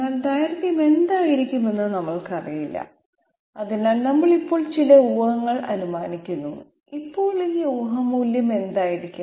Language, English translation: Malayalam, But we do not know what is going to be the length, so we assume some guess for the moment, now what is going to be this guess value